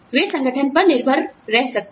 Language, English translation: Hindi, They can depend on the organization